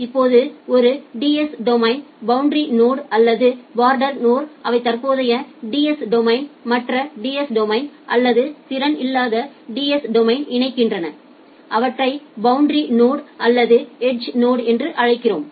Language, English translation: Tamil, Now in a DS domain, the boundary nodes or the border nodes, they interconnects the current DS domain to other DS domain or non capability DS domain, we call them as the boundary nodes or the edge nodes